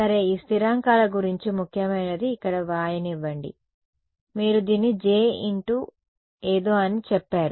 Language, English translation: Telugu, Well what is important about these constants are let me just write it over here you said this as a j into something ok